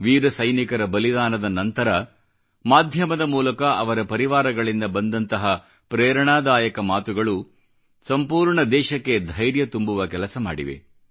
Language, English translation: Kannada, The martyrdom of these brave soldiers brought to the fore, through the media, touching, inspiring stories of their kin, whichgive hope and strength to the entire country